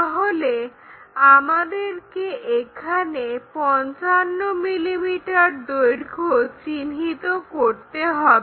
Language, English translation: Bengali, So, 55 mm we have to locate 55 mm here